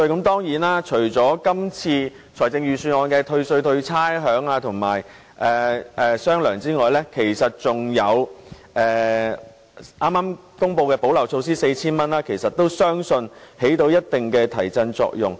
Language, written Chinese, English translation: Cantonese, 當然，除了今次財政預算案公布的退稅、退差餉及"雙糧"外，其實還有剛公布派發 4,000 元的補漏措施，相信也能發揮一定提振作用。, Of course besides measures like tax refund rates waiver and double payments in fact a gap - filling measure of handing out 4,000 has just been announced too . I believe this measure will also be able to produce some stimulus effect